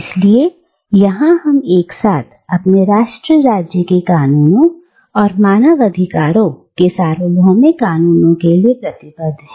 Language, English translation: Hindi, So, here, we are simultaneously committed to the laws of our nation state and to the universal law of human rights